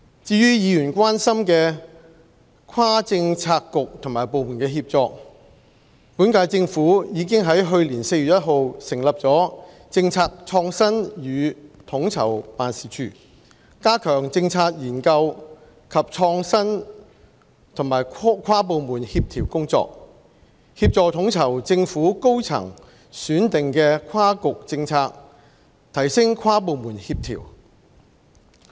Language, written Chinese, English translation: Cantonese, 至於議員關心的跨政策局和部門協作，本屆政府已於去年4月1日成立政策創新與統籌辦事處，加強政策研究及創新和跨部門協調工作，協助統籌政府高層選定的跨局政策，提升跨部門協調。, Regarding inter - bureau and inter - departmental collaboration which Members care about the current - term Government has set up the Policy Innovation and Co - ordination Office on 1 April last year to enhance policy research and innovation coordination across bureaux and departments and to render assistance in coordination work for cross - bureaux policies selected by the senior leadership of the Government